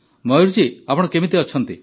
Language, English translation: Odia, Mayur ji how are you